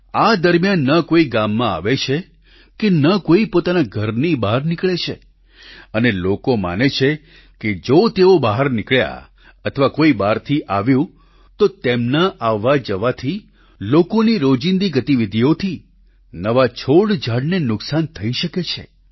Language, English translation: Gujarati, During this period, neither does anyone enter the village, nor leave home, and they believe that if they step out or if someone enters from elsewhere, the to and fro movement along with other routine activities of people can lead to the destruction of new plants and trees